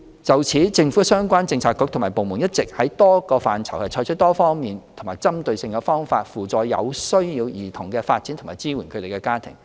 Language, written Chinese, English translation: Cantonese, 就此，政府相關政策局與部門一直在多個範疇採取多方面及針對性的方法，扶助有需要兒童的發展及支援他們的家庭。, In this regard the relevant government bureaux and departments have been adopting a multifaceted and target - specific approach in various areas to facilitate the development of children in need and support their families